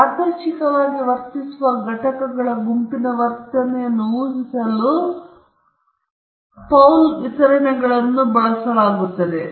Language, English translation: Kannada, And Paul distributions are used to predict the behavior of a group of randomly behaving entities